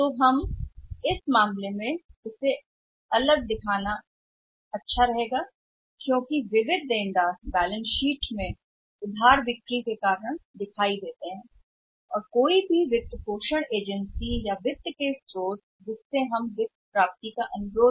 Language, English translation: Hindi, In this case showing it individually is very good because sundry debtors is coming out or appearing is a balance sheet because of credit sales and any funding agency any source of finance whom we are requesting to provide as finance